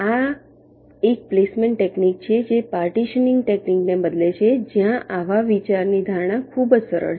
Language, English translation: Gujarati, this is a placement technique which replaces partitioning technique, where the idea is very simple in concept